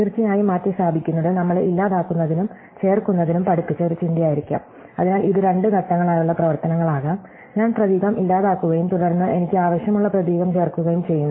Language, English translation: Malayalam, So, replacing of course could be a think taught of us deleting and inserting, so that could be a two step operations, I delete the character and then I insert the character I want